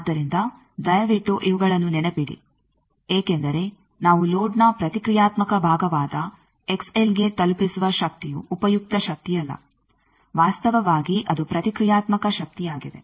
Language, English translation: Kannada, So, please remember these because the power that we get delivered to x l the reactive part of the load that is not useful power, actually that is a reactive power